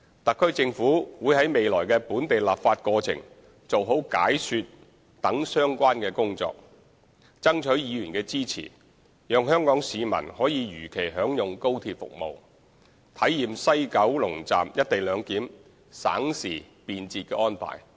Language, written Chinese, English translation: Cantonese, 特區政府會在未來的本地立法過程做好解說等相關工作，爭取議員的支持，讓香港市民可如期享用高鐵服務，體驗西九龍站"一地兩檢"省時便捷的安排。, The HKSAR Government will duly explain the arrangement and undertake other relevant work to harness the support of Members in the legislative process ahead so that Hong Kong residents can enjoy high - speed rail service as scheduled and experience the time - saving and convenient co - location arrangement at WKS